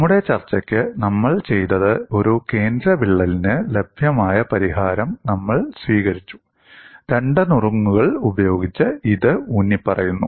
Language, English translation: Malayalam, For our discussion, what we did was, we took the available solution for a central crack and it is emphasized crack with two tips